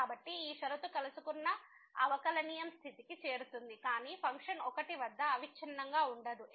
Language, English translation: Telugu, So, this condition is met differentiability condition is met, but the function is not continuous at 1